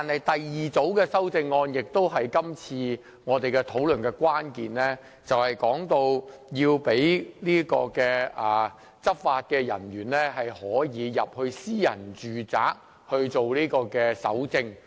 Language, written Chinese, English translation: Cantonese, 第二組修正案是今次討論的關鍵，就是要讓執法人員進入私人住宅搜證。, The second group of amendment is the crucial part of this discussion which seeks to allow entry of law enforcement officers into private domestic premises to collect evidence